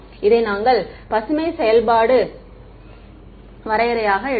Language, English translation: Tamil, We took this Green’s function definition